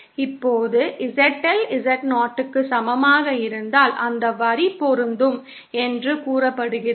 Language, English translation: Tamil, Now, if ZL is equal to Z0, then the line is said to be matched